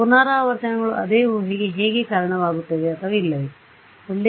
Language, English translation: Kannada, Will the iterations lead to the same guess or not